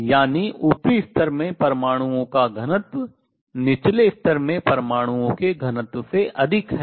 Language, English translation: Hindi, Let the density of atoms in the upper level be n 2, density of atoms in the lower level be n 1